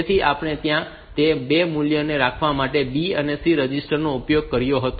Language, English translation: Gujarati, So, there we have used that B and C registers to hold those 2 values